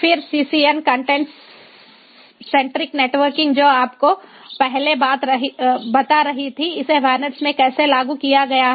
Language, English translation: Hindi, then ah, ccn, the content centric networking that was telling you before how it is implemented in vanets